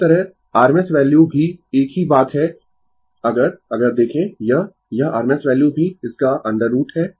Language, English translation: Hindi, Similarly, rms value also same thing if you if you if you look into this, this rms value also square root of this